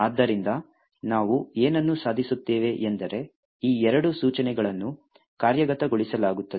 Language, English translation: Kannada, Therefore, what we would achieve is that these two instructions are executed